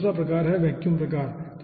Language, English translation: Hindi, so this is vacuum type, second type